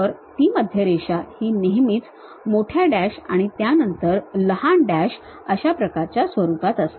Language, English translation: Marathi, So, that center line always be having a standard format like big dashes followed by small dashes